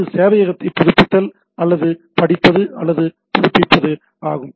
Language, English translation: Tamil, So, it is more of a updating or reading or updating the server